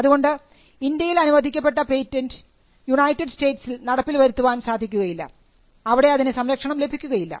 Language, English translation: Malayalam, So, you have a patent which is granted in India cannot be enforced or protected in the United States